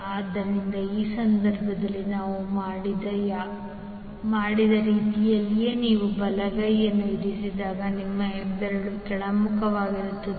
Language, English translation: Kannada, So when you place the right hand in the similar way as we did in this case your thumb will be in the downward direction